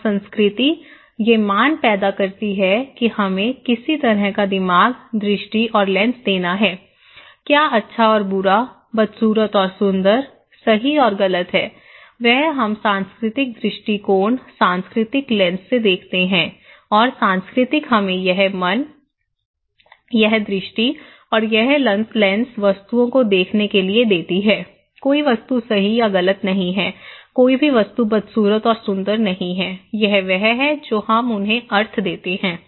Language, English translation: Hindi, And culture create these values to give us some kind of mind, vision and lens so, what is good and bad, ugly and beautiful, right and wrong this is we see from cultural perspective, cultural lens and culture gives us this mind, this vision and this lens to see the objects, no object is right or wrong, no object is ugly and beautiful, it is that we which we give the meaning to them right